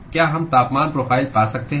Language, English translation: Hindi, Can we find the temperature profile